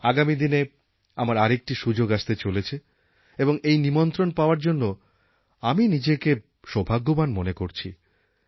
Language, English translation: Bengali, I am about to get another opportunity in the coming days and I consider myself fortunate to receive this invitation